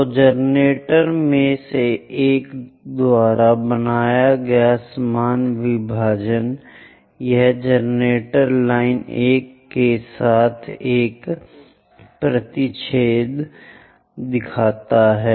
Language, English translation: Hindi, So, equal division made by one of the generator is this one intersecting with generator line 1